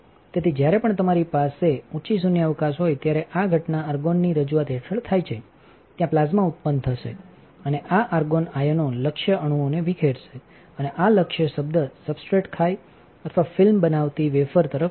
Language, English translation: Gujarati, So, every time when you have a high vacuum this phenomenon occurs under introduction of argon, there will be plasma generated and this argon ions will dislodge the target atom and this target term would travel towards the substrate or a wafer creating a film